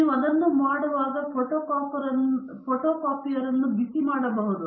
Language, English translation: Kannada, When you do that, the photocopier may be getting heated up